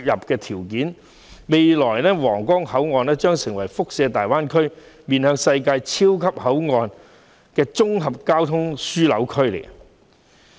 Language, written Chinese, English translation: Cantonese, 在未來，皇崗口岸將成為大灣區一個面向世界的超級口岸及綜合交通樞紐。, The new Huanggang Port will in the future become a super port as well as a comprehensive transportation hub for the world in the Greater Bay Area